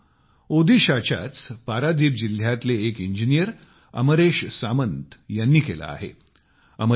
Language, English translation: Marathi, An engineer AmreshSamantji has done similar work in Paradip district of Odisha